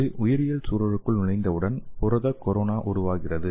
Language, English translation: Tamil, So once it enters the biological environment, so there will be a formation of protein corona